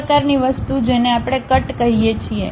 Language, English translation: Gujarati, That kind of thing what we call cut